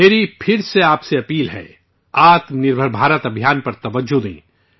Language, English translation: Urdu, I again urge you to emphasize on Aatma Nirbhar Bharat campaign